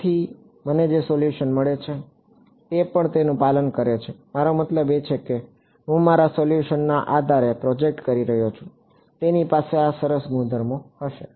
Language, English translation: Gujarati, So, therefore, the solution that I get it also obeys I mean I am projecting my solution on this basis it will have these nice properties to reveal